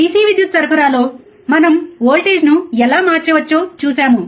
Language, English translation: Telugu, In DC power supply we have seen how we can change the voltage, right